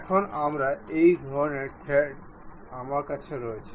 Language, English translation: Bengali, Now, we have such kind of thread